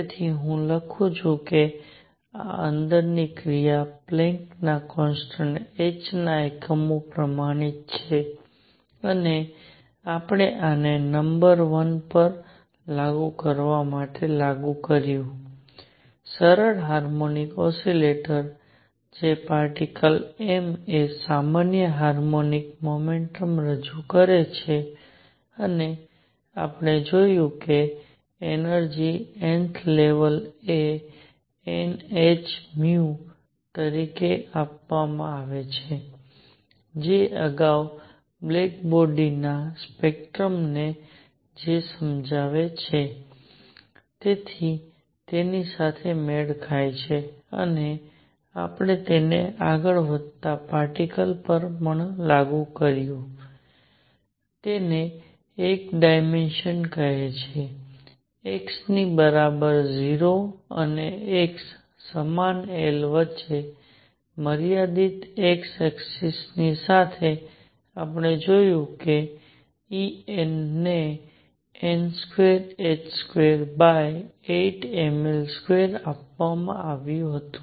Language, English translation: Gujarati, So, let me write this inwards action is quantized in units of Planck’s constant h and we applied this to applied this to number one, the simple harmonic oscillator that is a particle of mass m performing simple harmonic motion and we found that the energy n th level is given as n h nu which matched with whatever explain the black body spectrum earlier and we also applied it to a particle moving in one dimension say along the x axis confined between x equals 0 and x equals L and we found that E n was given as n square h square over it m L square